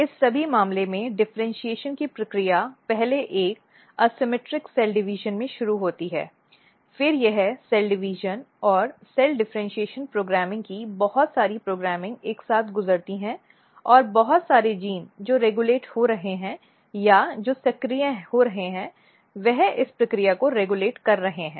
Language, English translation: Hindi, So, in all this case what you see that the process of differentiation start at a first asymmetric cell division itself, then it undergo lot of programming lot of a cell division and cell differentiation programming together and lot of genes which are getting regulated or which are getting activated they are regulating these process